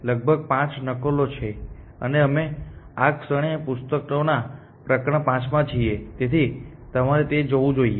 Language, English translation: Gujarati, There are about 5 copies and we are in chapter 5 of this books at this moment, so you should catch up with that essentially